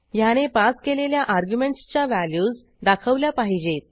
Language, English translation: Marathi, It should display the value of the argument passed